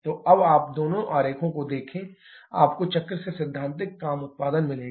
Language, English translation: Hindi, So, now look at the two diagrams you have the theoretical work production from the cycle